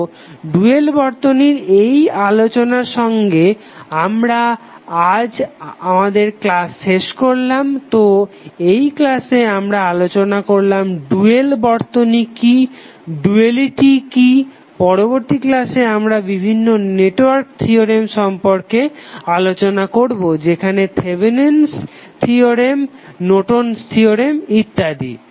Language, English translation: Bengali, So now with this discussion on the dual circuit let us close the session of todays lecture, so in this lecture we discuss about what is the dual circuit, what is duality, in the next lecture we will start with various network theorems like Thevenin’s theorem, Norton’s theorem and so on, thank you